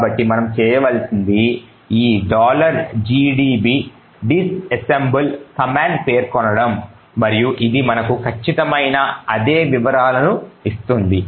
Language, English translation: Telugu, So all we need to do is specify this command called disassemble and it would give us the exact same details